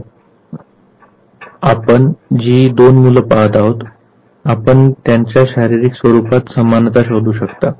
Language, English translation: Marathi, So, right now the two kids that you look at you search for similarity in their physical appearance